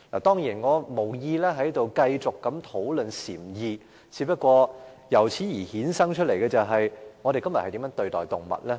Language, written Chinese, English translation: Cantonese, 當然，我無意在這裏繼續討論禪意，不過，由此衍生了一個問題：我們今天如何對待動物？, I certainly have no intention of starting a discussion on Zen enlightenment here but this does bring out the question of how we treat animals today